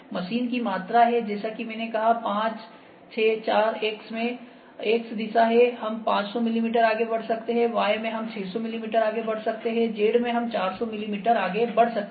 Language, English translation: Hindi, Machine volume is as I said 5,6, 4, 5, 6, 4 is X in X direction we can move 500 mm, in Y direction we can move 600 mm, in Z direction we can move 400 mm